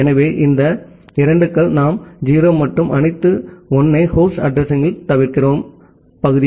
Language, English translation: Tamil, So, these 2’s are we are omitting all 0’s and all 1’s in the host address part